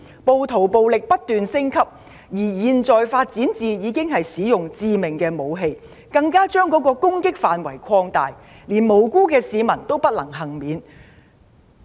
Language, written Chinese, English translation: Cantonese, 暴徒的暴力不斷升級，現在已發展至使用致命武器，更把攻擊範圍擴大，連無辜市民也不能幸免。, The rioters level of violence has continued to escalate . They are now using lethal weapons in addition to extending the targets of their attacks . Innocent citizens are no longer safe